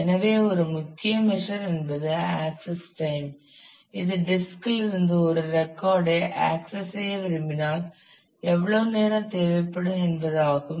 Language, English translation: Tamil, So, one main measure is access time if I want to access a record from the disk, then how much time shall I need